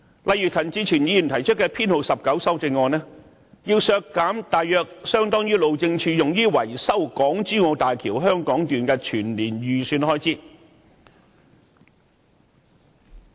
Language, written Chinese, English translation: Cantonese, 例如，陳志全議員提出的修正案編號 19， 便要求削減大約相當於路政署用於維修港珠澳大橋香港段的預算開支。, For instance Amendment No . 19 raised by Mr CHAN Chi - chuen is asking to slash an equivalent of the estimated expenditure that the Highways Department will use to maintain the Hong Kong section of the Hong Kong - Zhuhai - Macao Bridge HZMB